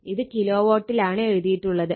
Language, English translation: Malayalam, So, it is also kilovolt right